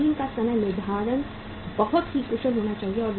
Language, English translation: Hindi, Machine scheduling should be very efficient